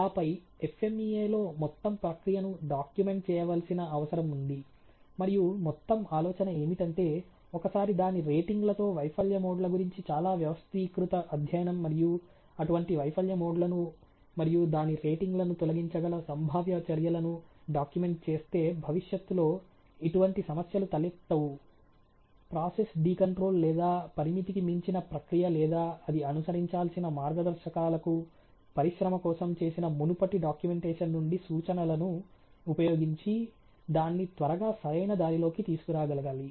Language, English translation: Telugu, And them also FMEA needs to a document to the whole process; and whole idea is that once a very organize the study of the failure modes and with its ratings as well as the potential, you know action that could eliminates such failure modes and as well as ratings are documented the idea is that in future if such problems get the raisin due to a process decontrol or the process going out of, you know the limits or whatever guidelines it has to follow it should be a able to quickly it back on track using reference from the previous documentation has been done for the industry